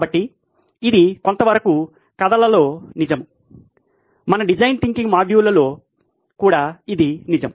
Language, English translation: Telugu, So that’s something that are true with stories, is true with our design thinking module as well